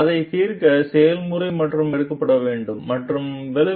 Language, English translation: Tamil, So, how the procedure was taken to solve it and the outcome